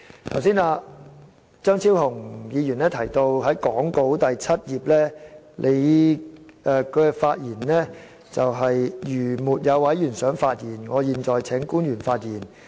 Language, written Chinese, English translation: Cantonese, 張超雄議員剛才提到根據講稿第七頁，主席本應說："如沒有委員想發言，我現在請官員發言。, Dr Fernando CHEUNG has just mentioned that according to page 7 of the script the Chairman is supposed to say If no Member wishes to speak I will now invite public officers to speak